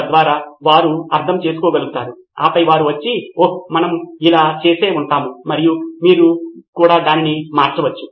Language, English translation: Telugu, So that they can understand and then come and say, oh yeah we would have done this and you can change that too